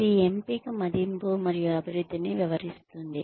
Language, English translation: Telugu, That describes, selection appraisal and development